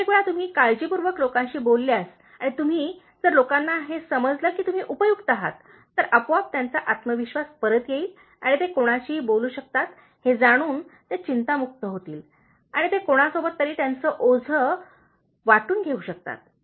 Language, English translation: Marathi, Most of the time if you talk to people with concern and if you, if people come to know that you are helpful, so automatically they will restore confidence and they will relieve anxiety to know that they can talk to someone and they can share their burden with someone